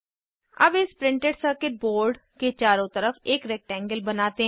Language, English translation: Hindi, Now let us create a rectangle around this Printed circuit Board